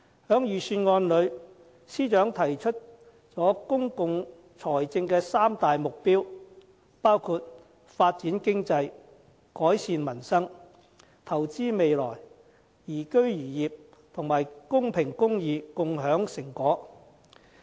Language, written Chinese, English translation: Cantonese, 在預算案中，司長提出了公共財政的三大目標，包括發展經濟、改善民生；投資未來，宜居宜業；及公平公義，共享成果。, The Financial Secretary states his three public financial objectives in the Budget which are Developing the Economy and Improving Livelihood Investing for the Future and Enhancing Liveability and Upholding Social Justice and Sharing Fruits of Success